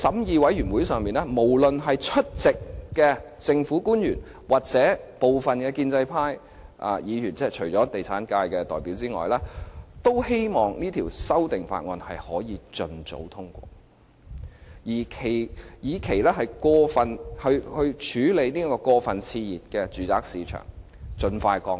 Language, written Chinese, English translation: Cantonese, 在法案委員會上，無論是出席的政府官員或部分建制派議員，除了地產界的代表之外，均希望可以盡早通過《條例草案》，以便過分熾熱的住宅市場可以盡快降溫。, At the meetings of the Bills Committee public officers and some pro - establishment Members expressed the wish for an expeditious passage of the Bill so as to cool down the overheated residential property market